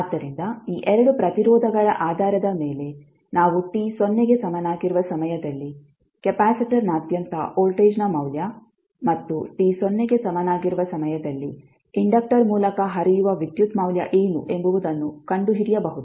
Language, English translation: Kannada, So based on these 2 resistances we can find what will be the value of voltage across capacitor at time t is equal to 0 and what will be the value of current which is flowing through the inductor at time t is equal to 0